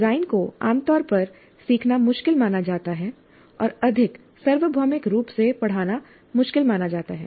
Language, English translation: Hindi, Design is generally considered difficult to learn and more universally considered difficult to teach